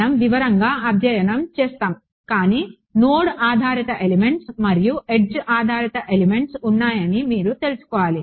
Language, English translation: Telugu, So, we will we will studied in detail, but you should know that there are node based elements and edge based elements